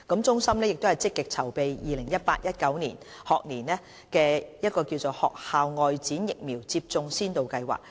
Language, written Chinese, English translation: Cantonese, 中心正積極籌備 2018-2019 學年學校外展疫苗接種先導計劃。, CHP is actively preparing for the launch of the School Outreach Vaccination Pilot Programme in the 2018 - 2019 school year